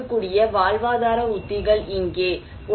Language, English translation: Tamil, Here are the livelihood strategies people can take